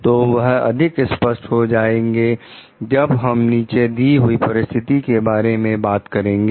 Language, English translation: Hindi, So, that will become more evident like when we talk of the following situation